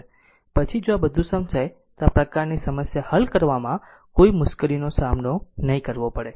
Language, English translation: Gujarati, Then if you understand all these then you will not face any difficulties of solving this kind of problem so